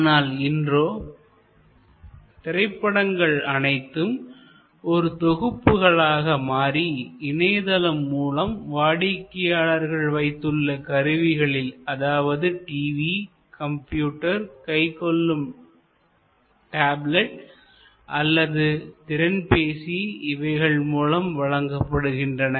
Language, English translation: Tamil, Now, movies are packaged, they are streamed, delivered over the net on to the device of the customer, could be TV, could be computer, could be a handheld tablet, could be phone a smart phone